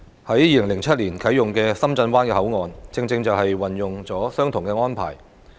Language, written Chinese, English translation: Cantonese, 在2007年啟用的深圳灣口岸，正正運用了相同的安排。, The Shenzhen Bay Port SBP which was commissioned in 2007 has adopted the very same arrangement